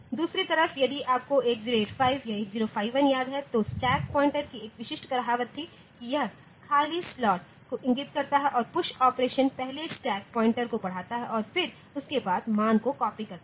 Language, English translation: Hindi, On the other hand if you remember 8085 or 8051 there is a specific saying like the stack pointer it points to the empty the slot and the push operation should first increment the stack pointer and then that value should be copied